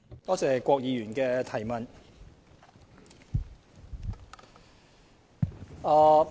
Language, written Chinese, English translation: Cantonese, 多謝郭議員的補充質詢。, I thank Mr KWOK for his supplementary question